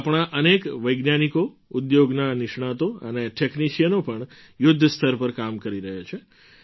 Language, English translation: Gujarati, So many of our scientists, industry experts and technicians too are working on a war footing